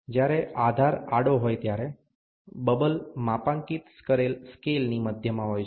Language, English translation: Gujarati, When the base is horizontal, the bubble rests at the center of the graduated scale